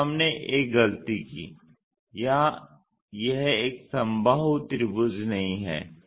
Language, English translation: Hindi, So, we made a mistake here it is not a equilateral triangle